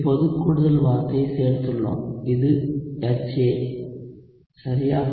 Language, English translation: Tamil, so now we have added an additional term, which is HA right